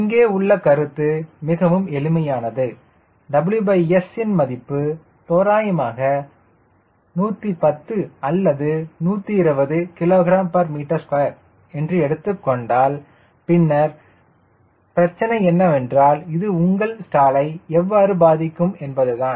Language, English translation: Tamil, the point here is very simple: if i take w by s as, lets say, hundred and ten or hundred and twenty kg per meter square, then problem is how it is going to affect your stall